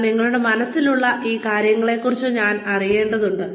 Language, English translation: Malayalam, But, you do need to know, about these things, in your mind